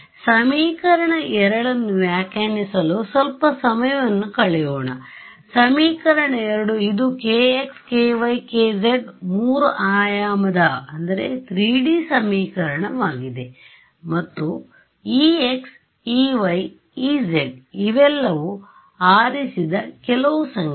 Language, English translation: Kannada, So, let us spend some time interpreting equation 2 so, equation 2 it is a three dimensional equation in the variables k x, k y, k z right and this e x, e y, e z all of these are numbers some numbers that I choose